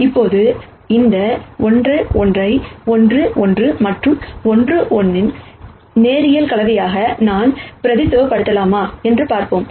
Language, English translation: Tamil, Now, let us see whether I can represent this 2 1 as a linear combination of 1 1 and 1 minus 1